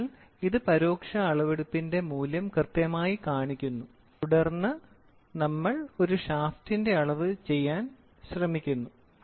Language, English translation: Malayalam, So, it exactly displaced the value of the indirect measurement then we try to do a measurement of a shaft